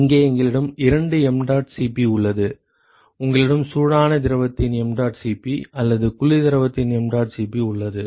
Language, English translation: Tamil, Here we have two mdot Cp here: you have mdot Cp of hot fluid or mdot Cp of cold fluid